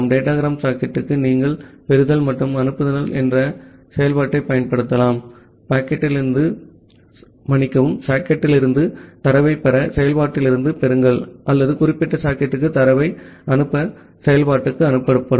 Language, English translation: Tamil, For the datagram socket you can use the function called the receive from and send to; receive from function to receive data from the socket or sent to function to send data to that particular socket